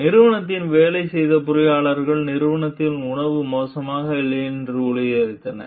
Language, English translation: Tamil, So, engineers who have worked the company assured that the food at the company is not bad